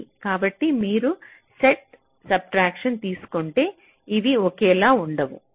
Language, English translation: Telugu, so if you take a set subtraction, these are not the same